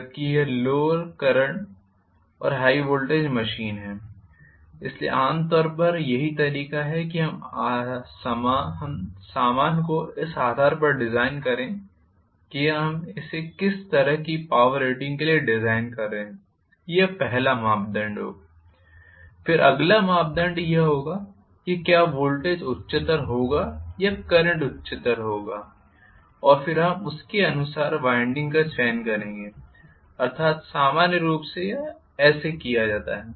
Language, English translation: Hindi, Whereas this is lower current and high voltage machine so, normally this is the way we,you know design the stuff depending upon what kind of power rating we are designing it for that will be the first criteria, then the next criteria will be whether the voltage will be higher or current will be higher and then correspondingly we will choose the winding, that is how it is done normally,ok